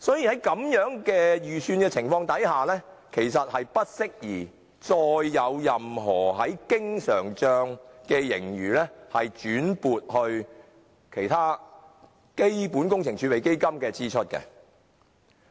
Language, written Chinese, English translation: Cantonese, 因此，在如此的預算情況下，其實是不適宜把經常帳盈餘撥作其他基本工程儲備基金以應付有關支出。, Under the circumstances it is actually inappropriate to transfer the surplus in the current account to CWRF for meeting the expenditure concerned